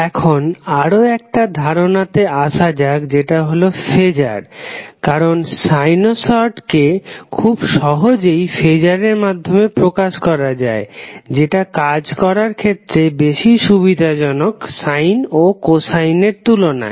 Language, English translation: Bengali, Now let's come to another concept called phaser because sinusoids are easily expressed in terms of phaser which are more convenient to work with than the sine or cosine functions